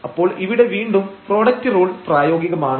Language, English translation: Malayalam, So, here again the product rule will be applicable